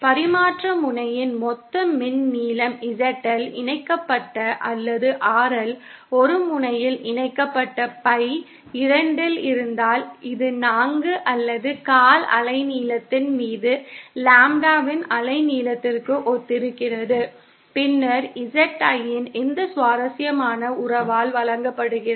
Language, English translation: Tamil, If suppose the total electrical length of the transmission line with loads ZL connected or RL connected at one end is Pie upon 2, this corresponds to a wavelength of Lambda upon 4 or quarter wavelength, then ZIn is given by this interesting relationship ZIn is equal to Z0 square upon RL